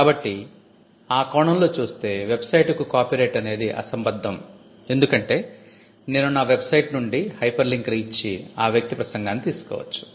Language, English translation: Telugu, So, so in that sense it is irrelevant copyright is irrelevant on the internet, because I could give a hyperlink from my website and take to that person speech